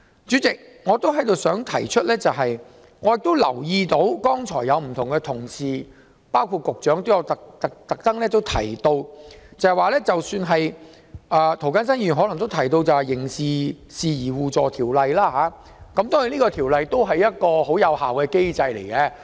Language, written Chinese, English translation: Cantonese, 主席，我也想指出，我留意到剛才有同事和局長也特別提到《刑事事宜相互法律協助條例》，涂謹申議員或許也有提及。當然，《條例》也是一個很有效的機制。, President I would also like to point out that I noticed some Honourable colleagues perhaps including Mr James TO and the Secretary specifically mention the Mutual Legal Assistance in Criminal Matters Ordinance which is also an effective mechanism of course